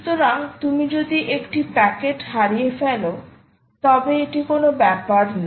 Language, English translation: Bengali, so even if you lose one packet, it doesnt matter, right